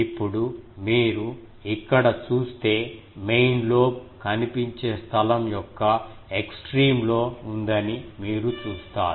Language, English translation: Telugu, Now, you see that the main lobe if you look here, the main lobe is at the extreme of the visible space